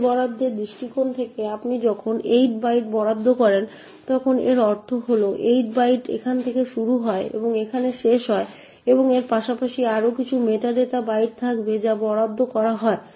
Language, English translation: Bengali, From memory allocation point of view when you allocate 8 bytes it would mean that the 8 bytes starts from here and end over here and besides this there would be some more meta data bytes that gets allocated